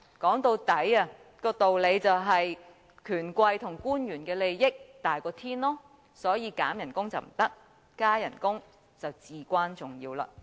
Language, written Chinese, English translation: Cantonese, 說到底，道理便是權貴和官員的利益大過天，所以削減薪酬不行，加薪則至關重要。, After all the truth is the interests of the bigwigs and officials prevail so reduction of salaries is out of the question while pay rise is of vital importance